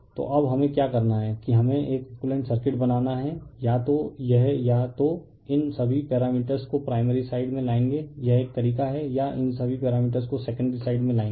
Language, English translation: Hindi, So, now, what we have to do is we have to make an equivalent circuit either it will bring either you bring all this parameters all this parameters to the primary side this is one way or you bring all these parameters to the secondary side either of this